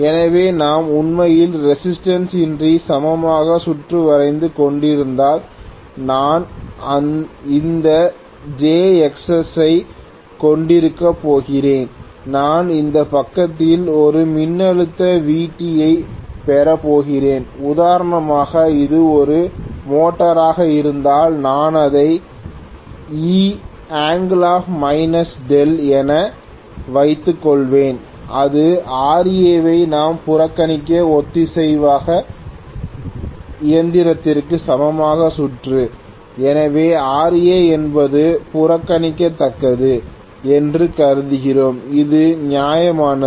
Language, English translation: Tamil, So, if we are actually drawing the equivalent circuit without the resistance, I am simply going to have this J Xs and I am going to have a voltage Vt on this side and if it is a motor for example I am going to have this as E angle minus delta, this is the equivalent circuit for the synchronous machine where we have neglected Ra, so we are assuming Ra is negligible which is justified